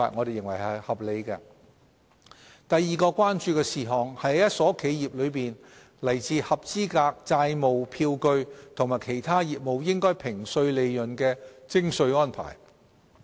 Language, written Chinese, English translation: Cantonese, 第二項是關注到同一家企業中來自合資格債務票據和其他業務應評稅利潤的徵稅安排。, The second concern is the taxation arrangement for assessable profits derived from qualifying debt instruments and other sources within the same enterprise